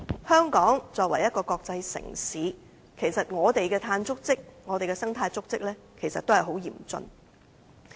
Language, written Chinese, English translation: Cantonese, 香港作為一個國際城市，我們的碳足跡和生態足跡也很嚴峻。, Hong Kong as a cosmopolitan city is facing a serious problem of carbon footprint and ecological footprint